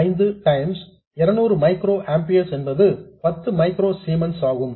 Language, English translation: Tamil, 05 times 200 microamper is 10 micro zemans